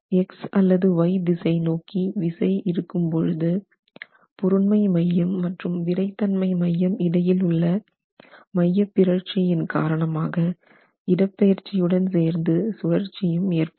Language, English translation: Tamil, When the force is acting in the X direction of the Y direction because of the eccentricity between the center of mass and the center of stiffness, you don't have translation alone, you are going to have a rotation